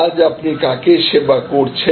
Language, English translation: Bengali, Who are you serving today